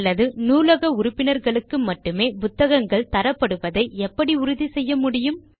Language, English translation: Tamil, Or how will you ensure that a book is issued to only members of the library and not anyone else